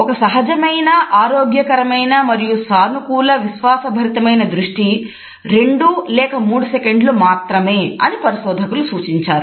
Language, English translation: Telugu, Researches tell us that a normal healthy and positive confident gaze should not be more than 2 or 3 seconds